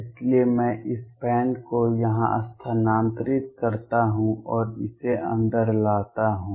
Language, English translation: Hindi, So, I shift this band here and bring it in